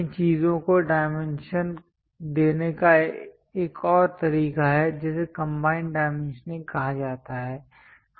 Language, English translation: Hindi, There is one more way of dimensioning these things called combined dimensioning